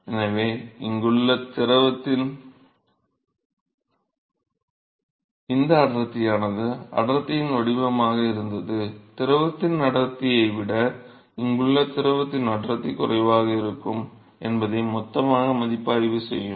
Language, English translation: Tamil, So, this density of the fluid here this was the density profile, density of the fluid here will be lesser than the density of the fluid will be bulk review